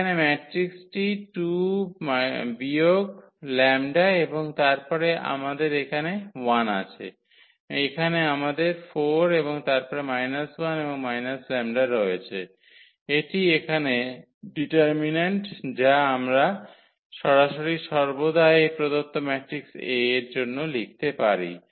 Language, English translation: Bengali, The matrix here is 2 minus lambda and then we have here 1 and here we have 4 and then minus 1 and the minus lambda, that is the determinant here which we can directly always we can read write down for this given matrix A